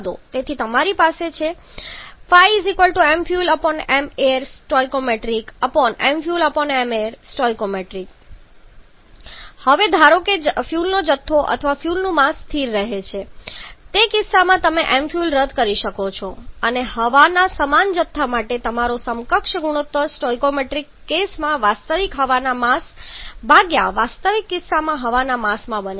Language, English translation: Gujarati, Now assume that the amount of fuel or mass of fuel remains constant in that case m fuel you can cancel out and for the same quantity of air your equivalence ratio then becomes mass of actual air in stoichiometric case by mass of air in actual case